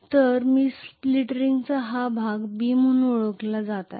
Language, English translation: Marathi, So I am going to have essentially this portion of split ring is known as B